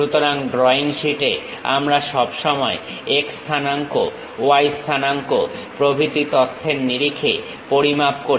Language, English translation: Bengali, So, on the drawing sheet, we always measure in terms of x coordinate, y coordinate kind of information